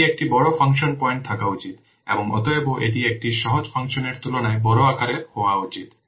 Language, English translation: Bengali, It should have larger function point and hence it should have larger size as compared to a simpler function